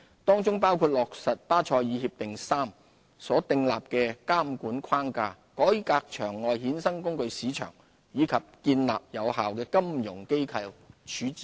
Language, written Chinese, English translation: Cantonese, 當中包括落實《巴塞爾協定三》所訂立的監管框架、改革場外衍生工具市場，以及建立有效的金融機構處置機制。, For instance we have implemented a regulatory framework as prescribed under Basel III taken forward a reform of the over - the - counter derivatives market and set up an effective resolution regime for financial institutions